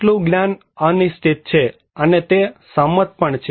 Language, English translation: Gujarati, Some knowledge are uncertain, and also consented